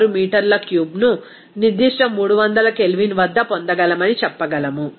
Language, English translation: Telugu, 6 meter cube at that particular 300 K